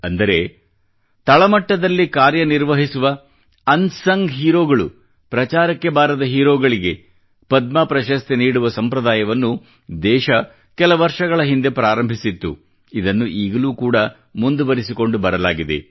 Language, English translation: Kannada, Thus, the tradition of conferring the Padma honour on unsung heroes that was started a few years ago has been maintained this time too